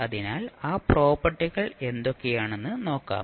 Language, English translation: Malayalam, So, let us see what are those properties